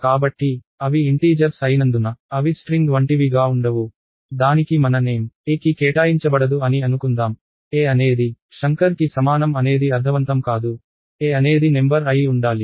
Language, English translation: Telugu, So, because they are integers they cannot have something like a string, let us say it cannot have my name assigned to a, a equal to Shankar does not make sense, a should be a number